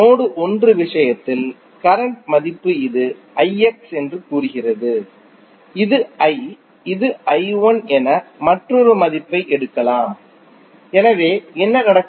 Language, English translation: Tamil, In case of node 1 the value of current say this is i X, this is I and this may you may take another value as i 1, so what will happen